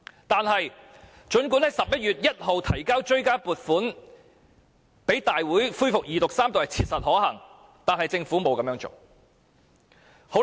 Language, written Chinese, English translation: Cantonese, 但是，儘管在11月1日向大會提交追加撥款條例草案二讀及三讀是切實可行，但政府並沒有這樣做。, But even though it was practicable to introduce the Bill into this Council for Second and Third Readings on 1 November the Government did not do so